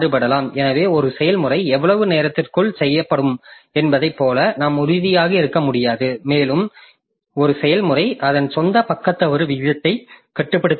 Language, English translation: Tamil, So, we cannot be sure like within how much time a process will be done and a process cannot control its own page falter